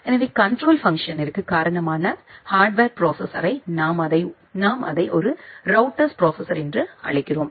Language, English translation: Tamil, So, the router hardware the processor is responsible for the control function, we call it as a route processor